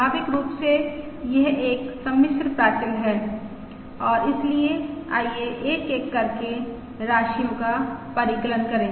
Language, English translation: Hindi, Naturally this is a complex parameter and therefore let us compute the quantities one by one